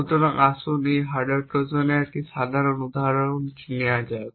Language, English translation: Bengali, So, let us take a simple example of a hardware Trojan